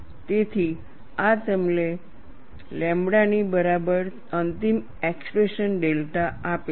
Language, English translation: Gujarati, So, this gives you a final expression delta equal to lambda